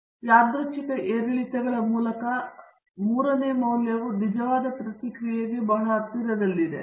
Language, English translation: Kannada, And by random fluctuations, the third value lies pretty close to the true response